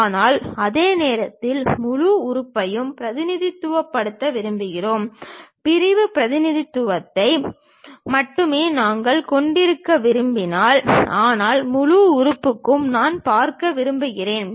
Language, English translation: Tamil, But at the same time, we want to represent the entire element; we do not want to have only sectional representation, but entire element also I would like to really see